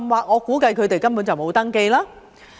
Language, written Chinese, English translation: Cantonese, 我估計他們甚或根本沒有登記。, I guess they may not even be registered